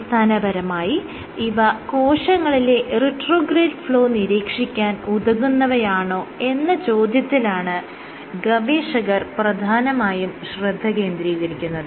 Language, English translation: Malayalam, Basically the first question the authors asked whether they would observe retrograde flow in these cells